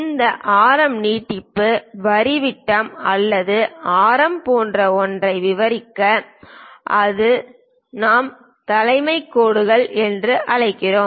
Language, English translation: Tamil, And the extension line for this radius to represent something like diameter or radius that line what we call leader lines